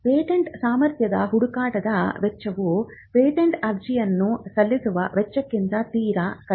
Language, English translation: Kannada, The cost of generating a patentability search is much less than the cost of filing a patent application